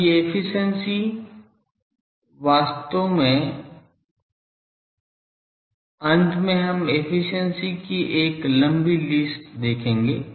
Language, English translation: Hindi, Now, these efficiencies the first one actually we will see a long list of efficiencies at the end